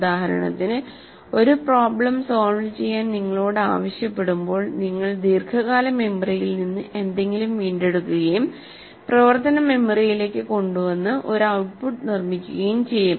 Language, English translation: Malayalam, When you are asked to solve a problem, you will retrieve something from the long term memory, bring it to the working memory, and produce an output